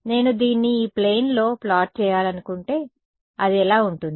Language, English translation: Telugu, If I want to plot this in the, in this plane what would it look like